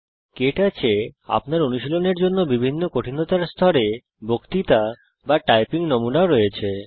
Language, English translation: Bengali, KTouch also has lectures or typing samples, in various levels of difficulty, for you to practice with